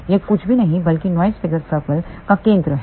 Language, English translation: Hindi, This is nothing but center of the noise figure circle